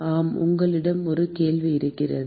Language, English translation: Tamil, Yes, you had a question